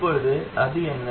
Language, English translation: Tamil, Now, what is that